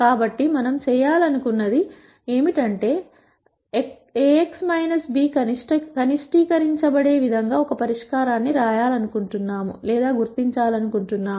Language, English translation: Telugu, So, what we want to do is, we want to identify a solution in such a way that Ax minus b is minimized